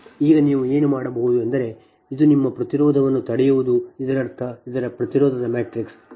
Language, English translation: Kannada, now what you can do is to get this, your impedance of this one, impedance matrix of this one